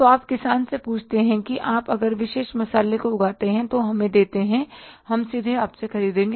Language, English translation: Hindi, So, you ask the farmer, you grow this particular spice, you give it to us, we will purchase it from you directly